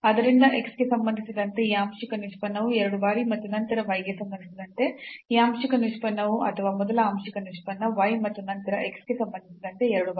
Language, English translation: Kannada, So, we can assume that this partial derivative with respect to x 2 times and then partial derivative with respect to y or first partial derivative y and then 2 times with respect to x they are equal